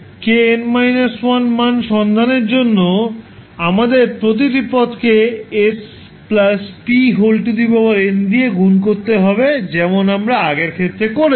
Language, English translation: Bengali, For finding out the value of k n minus 1, we have to multiply each term by s plus p to the power n as we did in this case